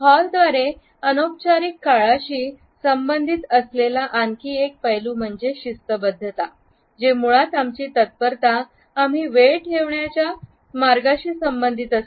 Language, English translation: Marathi, Another aspect which is associated by Hall with informal time is punctuality; which is basically our promptness associated with the way we keep time